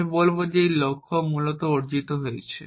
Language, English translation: Bengali, we will say that a goal has been achieved essentially